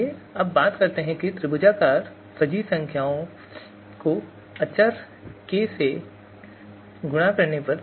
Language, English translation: Hindi, And then let us talk about you know multiplication of triangular fuzzy number by constant k